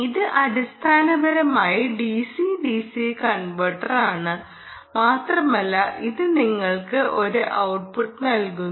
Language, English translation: Malayalam, this is basically a, d, c, d c converter and that in turn gives you ah a output